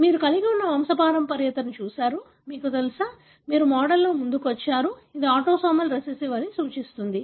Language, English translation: Telugu, You have looked at the pedigree you have, you know, you come up with the model, which suggest it could be autosomal recessive